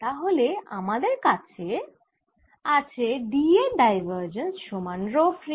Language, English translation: Bengali, so what we have is we have divergence of d for free